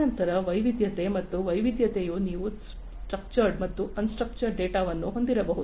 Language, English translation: Kannada, And then variety and this variety could be you can have both structured as well as non structured data